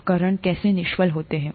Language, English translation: Hindi, How are instruments sterilized